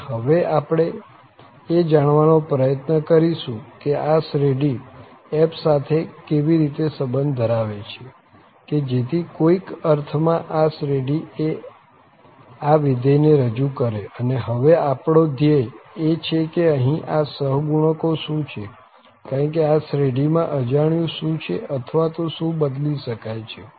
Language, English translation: Gujarati, And, now we will try to relate that how this series is related to f such that in some sense this series should represent this function f, and this is what the objective now that what are these coefficients here, because in this series what is unknown or what can be changed here